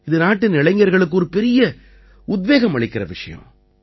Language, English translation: Tamil, This in itself is a great inspiration for the youth of the country